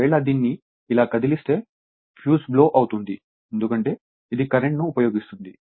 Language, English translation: Telugu, Just if you just move it like this then, fuse will blow right because it will use current